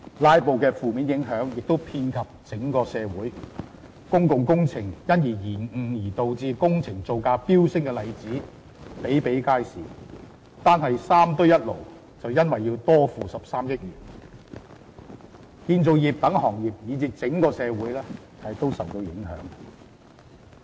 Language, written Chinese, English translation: Cantonese, "拉布"的負面影響亦遍及整體社會，公共工程因而延誤而導致工程造價飆升的例子比比皆是，單是"三堆一爐"便因此要多付13億元，建造業等行業以至整個社會也受到影響。, The negative impact of filibusters infuses every corner of society . Numerous public works projects are delayed and project prices have soared . One such example is the project on the extension of three landfills and construction of an incinerator